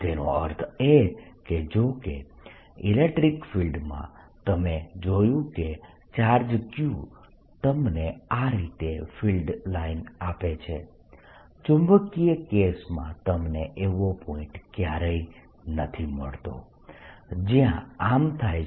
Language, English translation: Gujarati, that means, although in the electric field you saw, the charge q gave you free line like this, in magnetic case you never find a point where it happens